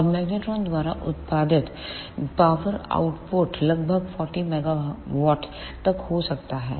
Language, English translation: Hindi, And the power output which can be ah produced by magnetrons is up to about 40 megawatt